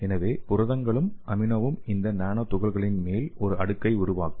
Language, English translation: Tamil, So proteins and amino will form a layer on top of these nanoparticles